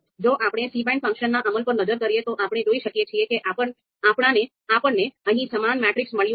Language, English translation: Gujarati, Here, if we look at this execution of cbind function, you can see we have got the similar matrix here